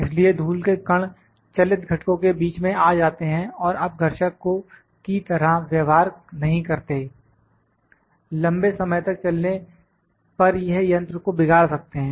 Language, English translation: Hindi, So, that the dust particles just come in between the moving component and does not act as abrasive, it may deteriorate the machine in the long run